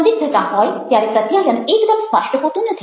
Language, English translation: Gujarati, ambiguity is something where communication is not very clear